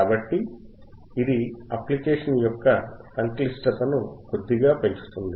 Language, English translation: Telugu, So, this is little bit increasing the complexity of the application